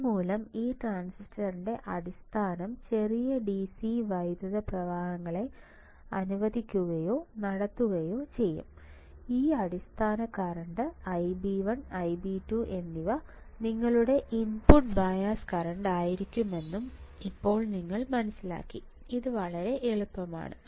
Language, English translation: Malayalam, Due to this the base of this transistor will allow or will conduct small DC currents and this base current we are saying I b 1 for transistor one I b 2 for transistor 2 and this I b 1 and I b 2 will be your input bias current this will be your input bias current